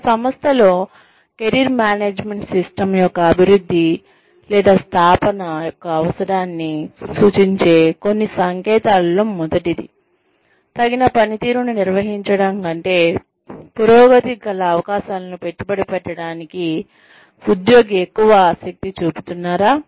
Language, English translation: Telugu, Some signs in an organization, that indicate, the need for the development, or establishment of a Career Management System, within an organization are, number one, is the employee more interested in, capitalizing on opportunities for advancement, than in maintaining adequate performance